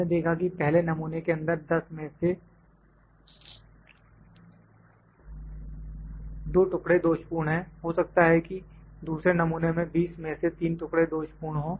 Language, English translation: Hindi, We have seen that in first sample 2 pieces are defective out of 10, in the second sample may be 3 pieces are defected after 20